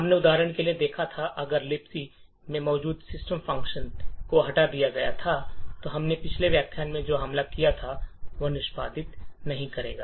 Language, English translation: Hindi, We had seen for example if the system function present in libc was removed then the attack that we have built in the previous lecture will not execute anymore